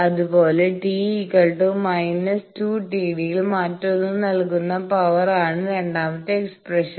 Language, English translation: Malayalam, Similarly power delivered by the other at t is equal to minus two d is the second expression